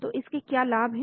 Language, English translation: Hindi, So what are the advantages of this